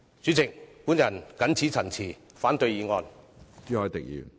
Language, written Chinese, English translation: Cantonese, 主席，我謹此陳辭，反對議案。, With these remarks President I oppose the motion